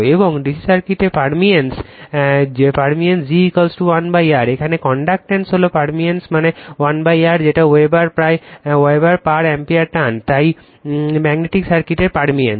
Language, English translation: Bengali, And permeance in the DC circuit g is equal to 1 upon R, the conductance here the permeance that is 1 upon R that is Weber per ampere turns, so permeance of the magnetic circuit right